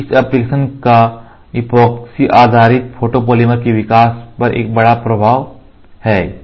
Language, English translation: Hindi, So, this application has a major impact on the development of epoxy based photopolymers